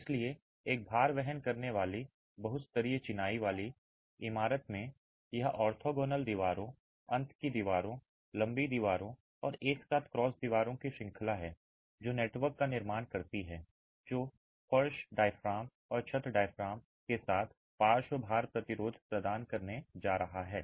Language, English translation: Hindi, So, in a load bearing multi storied masonry building, it is the series of orthogonal walls, end walls, long walls and cross walls together which form the network that is going to provide the lateral load resistance along with the floor diaphragms and the roof diaphragms